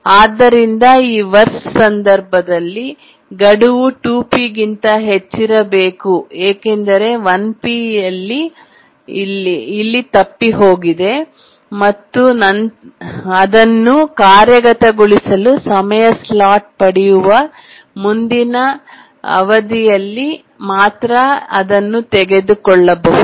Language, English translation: Kannada, Therefore, in this worst case, the deadline must be greater than 2PS because 1 PS it just missed here, so only it can be taken over in the next period where it gets a time slot for execution